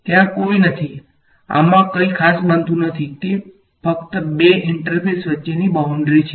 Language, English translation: Gujarati, There is no; there is nothing special happening at this, it is just a boundary between two interfaces